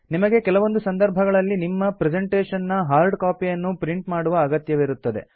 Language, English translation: Kannada, There are times when you would need to print hard copies of your presentation